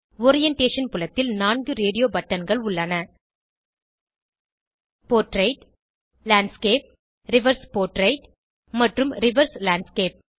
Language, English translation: Tamil, In the orientation field we have 4 radio buttons Portrait, Landscape, Reverse portrait, and Reverse landscape